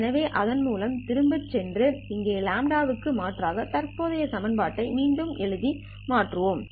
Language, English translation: Tamil, So with this, let us go back and substitute for lambda in here and rewrite the current equation